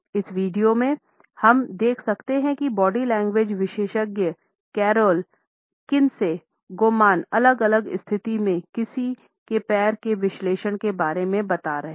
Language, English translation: Hindi, In this video, we can see that the body language expert carol Kinsey Goman is analyzed what one’s feet tell in different situation